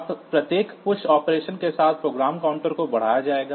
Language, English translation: Hindi, So, when you are first doing the push operation, the program counter will be incremented